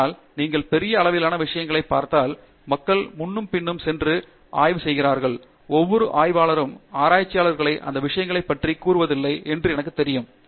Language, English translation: Tamil, But, if you look at the grand scale of things yeah, I know people go back and forth and research and every researcher goes through that, not necessarily that the researchers shares those things